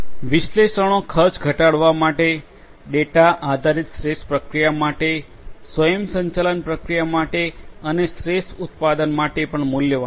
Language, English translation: Gujarati, Analytics is also valuable for reducing the cost, for data driven process optimization, for process automation and for product optimization